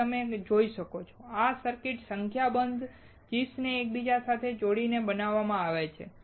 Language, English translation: Gujarati, As you can see, this circuit is fabricated by interconnecting number of chips